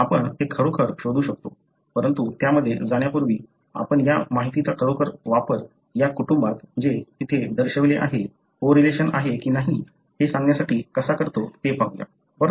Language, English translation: Marathi, So, we can really search that, but just before getting into that, let us look into how do you really use this information to tell whether in this family that have been shown here, whether there is a correlation, right